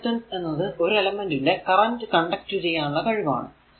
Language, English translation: Malayalam, So, thus conductance is the ability of an element to conduct electric current